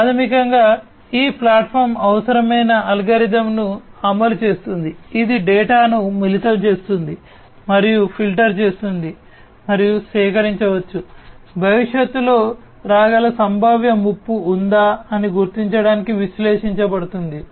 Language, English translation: Telugu, So, here basically this platform implements an algorithm that is required, which basically combines and filters the data, and the data that is collected will be analyzed to basically you know identify whether there is a potential threat that can come in the future